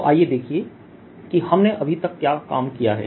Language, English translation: Hindi, so let us see what we had worked on